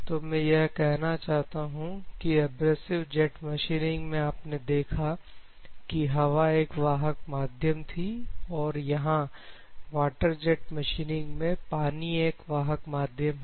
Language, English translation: Hindi, So, what I mean to say is abrasive jet machining you have seen where air is the medium to carry in a water jet machining water it will cut with water